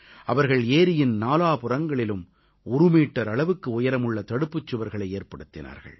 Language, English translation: Tamil, They built a one meter high embankment along all the four sides of the lake